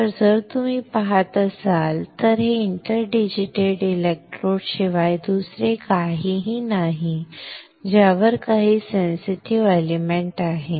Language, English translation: Marathi, So, here if you see this is nothing but interdigitated electrodes on which there is some sensitive element